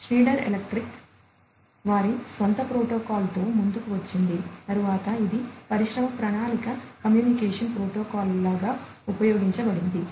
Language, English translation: Telugu, So, Schneider electric came up with their own protocol, which later became sort of like an industry standard communication protocol for being used